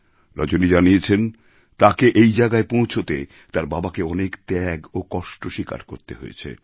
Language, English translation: Bengali, According to Rajani, her father has sacrificed a lot, undergone hardships to help her reach where she is